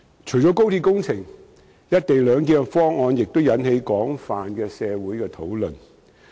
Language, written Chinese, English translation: Cantonese, 除了高鐵工程外，"一地兩檢"方案亦引起了社會的廣泛討論。, In addition to the XRL works the co - location arrangement has also induced extensive discussion in society